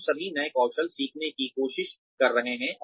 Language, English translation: Hindi, We are all trying to learn newer skills